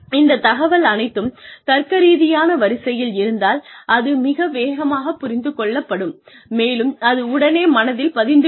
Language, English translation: Tamil, The information, if it is in a logical order, it will be absorbed much faster, and it will be remembered more